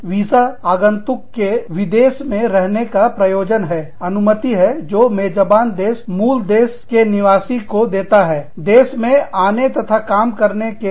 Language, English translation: Hindi, s intention to stay abroad, which is the permission, that the host country gives, to the parent country nationals, to come and work in that country